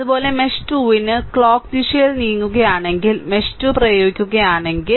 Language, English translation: Malayalam, Similarly, for mesh 2, if you apply mesh 2, if you moving clockwise